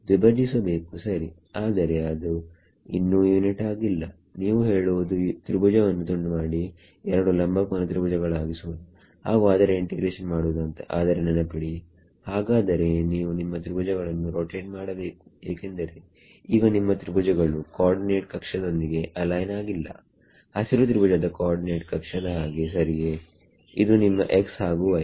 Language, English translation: Kannada, Bisect it ok, but then it is still not unit you are saying break up the triangles into 2 right angled triangles and do the integration of each other,, but remember the your you then you also have to rotate your triangles because right now your co ordinate axis are what your triangles are not aligned with the co ordinate axis like the green triangle right this is your x and y